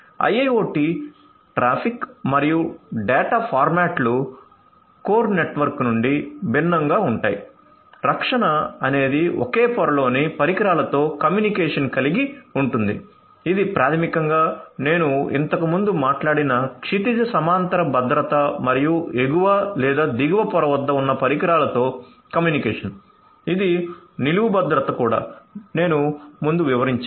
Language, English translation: Telugu, IIoT traffic and data formats are different from the core network, so protection involves communication with the devices at the same layer which is basically the horizontal security that I talked about earlier and communication with devices at upper or lower layer which is the vertical security that also I explained earlier